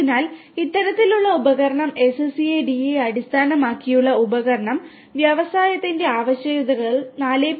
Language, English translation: Malayalam, So, this kind of device SCADA based device basically is helpful in order to achieve the requirements of industry 4